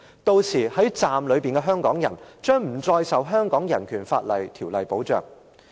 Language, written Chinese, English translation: Cantonese, 屆時站內的香港人將不再受《香港人權法案條例》保障。, By that time Hongkongers in the station will no longer be protected by BORO